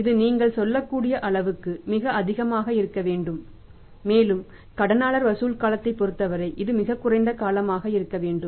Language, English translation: Tamil, This should be very, very high as high as possible you can say and as far as the debtor collection period is concerned it should be the lowest possible period